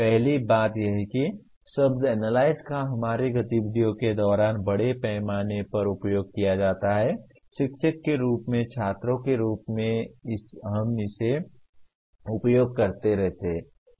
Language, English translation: Hindi, First thing is the word analyze is extensively used during our activities; as teachers as students we keep using it